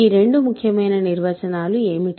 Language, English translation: Telugu, So, what are these two important definitions